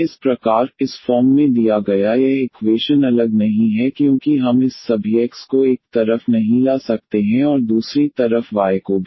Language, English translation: Hindi, So, this equation as such given in this form is not separable because we cannot bring all this x to one side and y to other side